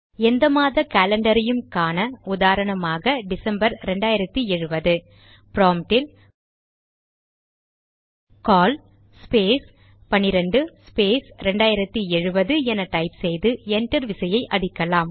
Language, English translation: Tamil, To see the calendar of any arbitrary month say december 2070 type at the prompt cal space 12 space 2070 and press enter